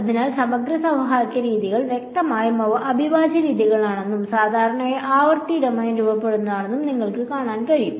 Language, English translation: Malayalam, So, integral equation methods; obviously, you can see that they are integral methods and usually formulated in the frequency domain ok